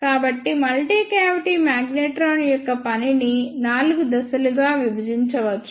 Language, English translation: Telugu, So, the working of multi cavity magnetron can be divided into four phases